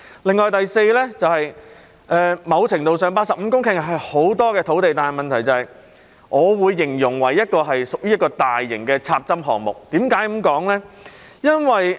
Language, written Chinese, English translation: Cantonese, 再者，某程度上 ，85 公頃是很多的土地，但我會形容這是一個大型的"插針"項目。, Furthermore to a certain extent 85 hectares is a lot of land but I would describe this as a large - scale infill project